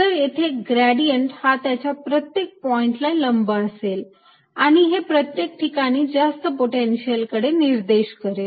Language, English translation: Marathi, one, then gradient will be perpendicular to this at each point and pointing towards higher potential everywhere